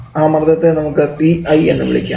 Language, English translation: Malayalam, Yeah this Pi is referred as the component pressure